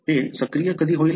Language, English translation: Marathi, When would it be active